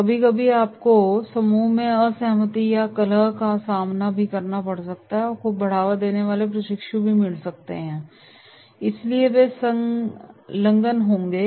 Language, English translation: Hindi, Sometimes you may get the trainee promoting disagreement or discord in the group right, so therefore they will engage